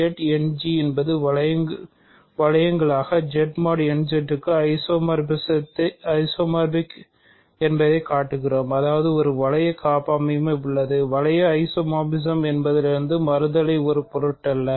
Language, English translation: Tamil, We show that Z End G is isomorphic to Z mod n Z as rings; that means, there is a ring homomorphism, ring isomorphism from let me reverse the direction does not matter